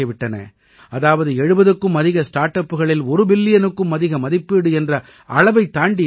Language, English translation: Tamil, That is, there are more than 70 startups that have crossed the valuation of more than 1 billion